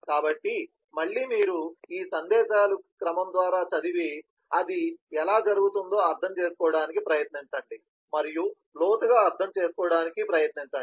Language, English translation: Telugu, again you read through these sequence of messages and try to understand how this is happening and try to understand in depth